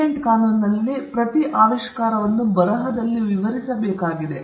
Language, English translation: Kannada, In patent law, every invention needs to be described in writing